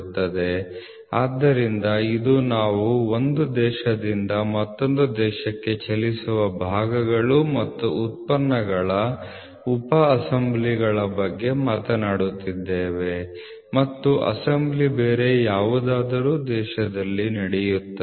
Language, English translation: Kannada, So, today we are talking about moving parts and products sub assemblies from one country to another country and assembly happens at some other country